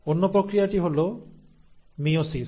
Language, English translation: Bengali, And the other one is the process of meiosis